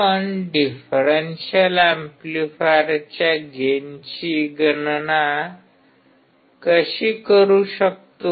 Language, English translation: Marathi, How can we calculate the gain of a differential amplifier